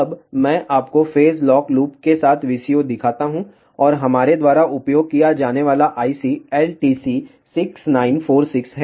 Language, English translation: Hindi, Now, let me show you VCO with phase lock loop and the IC which we have use is LTC6946